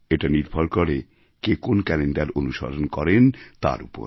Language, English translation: Bengali, It is also dependant on the fact which calendar you follow